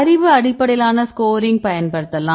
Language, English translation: Tamil, Then you can use a knowledge based scoring